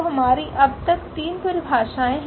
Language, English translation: Hindi, So, we have already 3 definitions so far